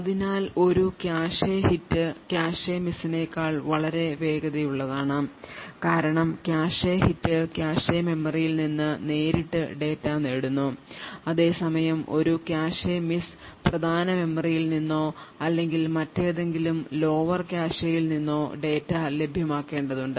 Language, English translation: Malayalam, So a cache hit is considerably faster than a cache miss and the reason being that the cache hit fetches data straight from the cache memory while a cache miss would have to fetch data from the main memory or any other lower cache that may be present